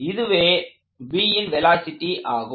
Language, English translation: Tamil, So this is the velocity of B